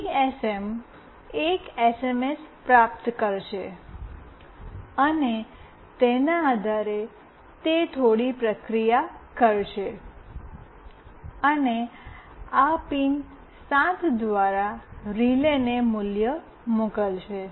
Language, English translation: Gujarati, GSM will receive an SMS, and depending on that it will do some processing, and send a value through this pin 7 to the relay